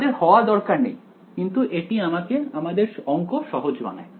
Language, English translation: Bengali, They need not be, but it makes math easier